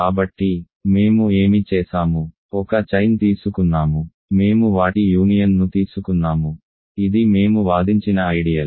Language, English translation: Telugu, So, what we have done is you are taking a chain; we took their union which is an ideal we argued